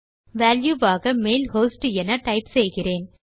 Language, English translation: Tamil, And I type the mail host in there as the value